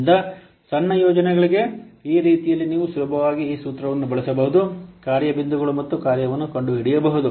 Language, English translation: Kannada, So in this way for small projects you can easily use this formula, find out the function points and size